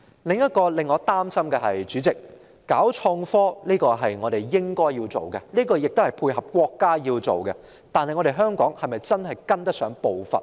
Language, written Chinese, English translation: Cantonese, 主席，令我擔心的另一問題是，發展創科是我們應該做的，亦是配合國家要做的事，但香港是否確實跟得上步伐呢？, President there is another point of worry to me . The development of innovation and technology is a necessary cause and it is what we should do to support the State . Yet is Hong Kong capable of keeping pace with the State?